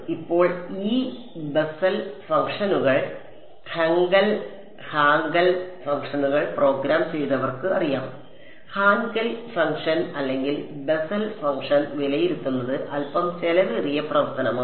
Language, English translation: Malayalam, Now those of you who have programmed these Bessel functions Hankel Hankel functions will know; that to evaluate Hankel function or a Bessel function is slightly expensive operation